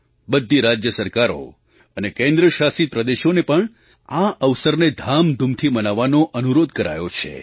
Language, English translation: Gujarati, All states and Union Territories have been requested to celebrate the occasion in a grand manner